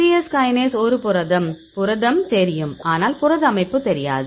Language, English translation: Tamil, C yes kinase is a protein; so protein we know, but protein structure we do not know